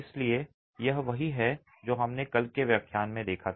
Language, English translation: Hindi, So, that's the gist of what we had seen in yesterday's lecture